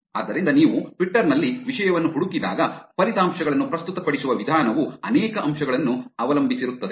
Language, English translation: Kannada, So, when you search for a topic in Twitter, the way that the results are presented depends on many factors